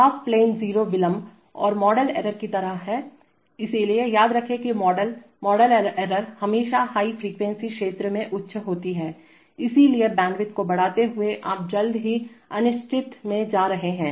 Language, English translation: Hindi, Half plane zeros are like delays and model errors, so remember that models, model errors are always high in the high frequency zone, so increasing the bandwidth you are going into the uncertain soon